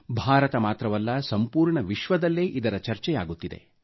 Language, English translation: Kannada, Not just in India, it is a part of the discourse in the whole world